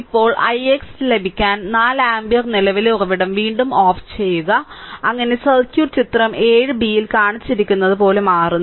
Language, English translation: Malayalam, Now, to obtain i x double dash again you turn off the 4 ampere current source we have seen so, that circuit becomes that shown in figure 7 b that also we have shown